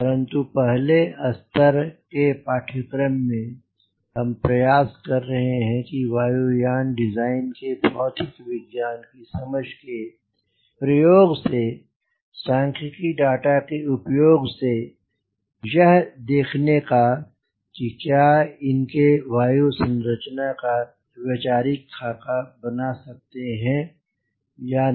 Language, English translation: Hindi, but in the first level, course, what we are trying to do is use understanding of the physics behind aircraft design and use as a complimentary statistical data and see whether you can conceptualize an aircraft configuration or not